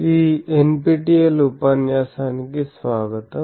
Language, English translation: Telugu, Welcome to this NPTEL lecture